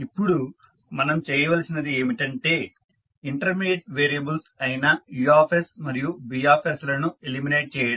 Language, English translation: Telugu, Now, the objective is that we need to eliminate the intermediate variables that is U and B